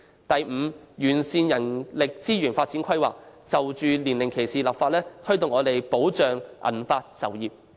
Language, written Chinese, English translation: Cantonese, 第五，完善人力資源發展規劃，並就年齡歧視立法，推動及保障銀髮就業。, Fifthly it should perfect the planning for manpower resources development and enact legislation on age discrimination to promote and protect the employment of senior citizens